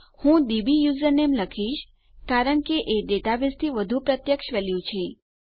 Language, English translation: Gujarati, I think I will say dbusername because thats a more direct value from the database